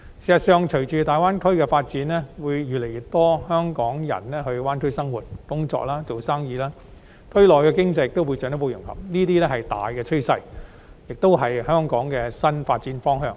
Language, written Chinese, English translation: Cantonese, 事實上，隨着大灣區的發展，會有越來越多香港人到大灣區生活、工作、營商，區內的經濟亦會進一步融合，這是大趨勢，亦是香港的新發展方向。, As a matter of fact with the development of the Greater Bay Area more and more Hong Kong people will live work and do business there while economic integration in the area will further progress . This is the prevailing trend and the new development direction for Hong Kong